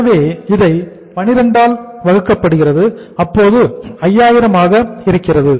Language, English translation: Tamil, So this is divided by12 this works out as how much 5000